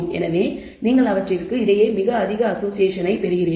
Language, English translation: Tamil, So, you are getting very high association between them